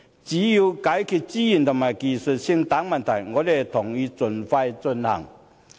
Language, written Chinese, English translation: Cantonese, 只要解決資源和技術性等問題，我們同意盡快進行。, So long as issues involving resources and technology are resolved we agree that it should be expeditiously introduced